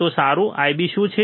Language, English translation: Gujarati, So, what will be your I B